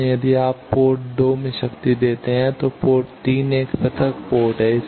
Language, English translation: Hindi, So, if you give power at port 2, port 3 is an isolated port